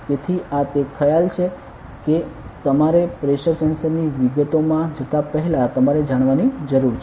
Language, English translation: Gujarati, So, this is the concept that you need to know before we go into details of a pressure sensor ok